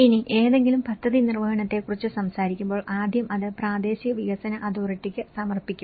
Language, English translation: Malayalam, Now, when we talk about any plan implementation, first of all, it will be submitted to the local development authority